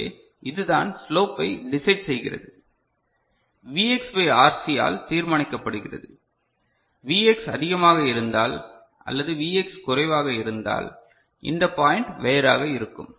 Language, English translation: Tamil, So, this is what is deciding the slopes Vx by RC Vx by RC ok, if Vx is more or Vx is less so, this point will be different ok